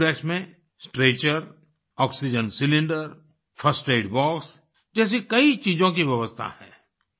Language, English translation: Hindi, An AmbuRx is equipped with a Stretcher, Oxygen Cylinder, First Aid Box and other things